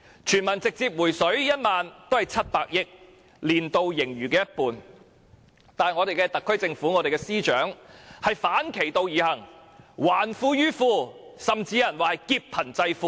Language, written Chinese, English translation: Cantonese, 全民直接"回水 "1 萬元也只涉款700億元，佔年度盈餘的一半，但我們的特區政府及司長卻反其道而行，還富於富，甚至有人說是"劫貧濟富"。, The refund of 10,000 to each person will only cost 70 billion which is one half of the surplus of the financial year . Nonetheless the SAR Government and the Financial Secretary have done just the opposite . They are returning wealth to the rich or as some put it they are even robbing the poor to pay the rich